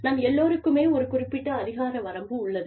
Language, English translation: Tamil, All of us, have a jurisdiction